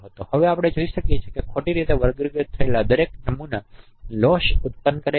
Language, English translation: Gujarati, Here now we can see that each wrongly classified sample produces a loss